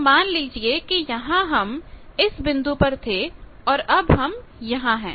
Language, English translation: Hindi, So, here suppose something I was at this point